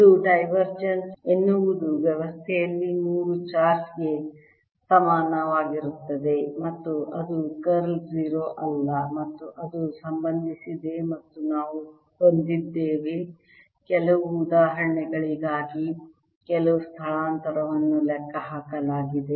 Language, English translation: Kannada, its divergence is equal to three charge in the system and its curl is not zero and it is related to to and and we have calculated some ah displacement for certain examples